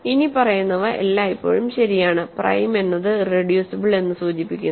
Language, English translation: Malayalam, Always, the following is true: prime implies irreducible